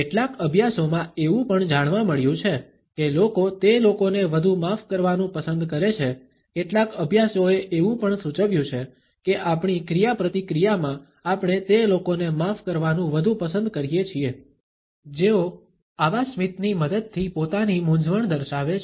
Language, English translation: Gujarati, Several studies have also found that people like to forgive people more, that several studies have also suggested that in our interaction we tend to like as well as to forgive those people more, who show their embarrassment with the help of such a smile